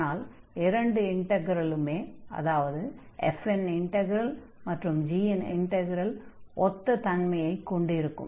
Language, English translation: Tamil, So, now the conclusion is that both integrals integral over f and integral over g, they will behave the same